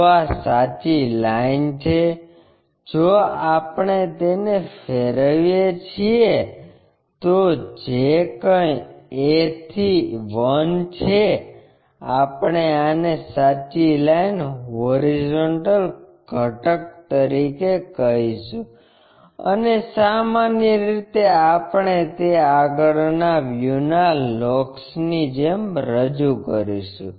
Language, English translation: Gujarati, So, this is the true line, if we have rotated that whatever a to 1 that, we will call this one as horizontal component of true line and usually we represent like locus of that front view